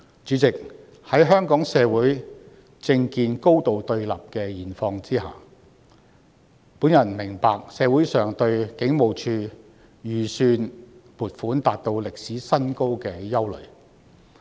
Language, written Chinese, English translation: Cantonese, 主席，在香港社會政見高度對立的現況下，我明白社會上對警務處預算撥款達到歷史新高的憂慮。, Chairman given that political views are highly polarized in our society I understand the communitys concern about the all - time high estimated expenditure of HKPF